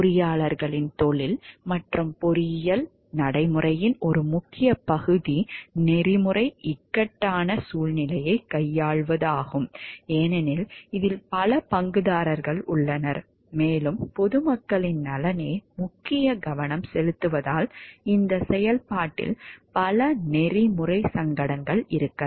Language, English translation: Tamil, One important part of the profession of engineers and engineering practice is to deal with ethical dilemma, because there are many stakeholders involved and, because the welfare of the public at large is the major focus, then there could be many ethical dilemmas in the process of engineering practice